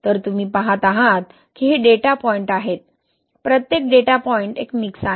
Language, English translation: Marathi, So you see these are the data points, each data point is one mix, right